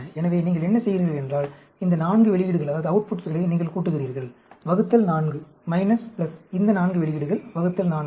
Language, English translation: Tamil, So, what you do is, you add up these 4 outputs, divide by 4, minus, add up these 4 outputs, divide by 4